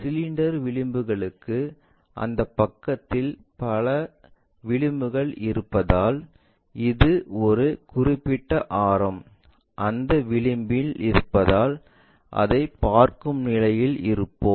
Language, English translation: Tamil, For cylinder the edges because it is having many edges on that side whatever the atmost which is at a given radius that edge we will be in a position to see that